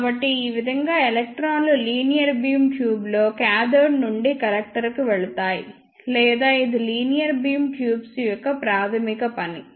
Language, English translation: Telugu, So, this is how the electrons move from cathode to collector in a linear beam tube or this is the basic working of a linear bean tube